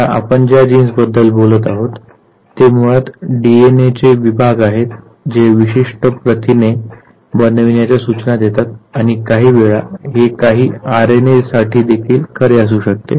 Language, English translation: Marathi, Now the genes that we are talking about they are basically segments of DNA that carry instructions for making any specific protein, and some time it could be even true for certain RNAs also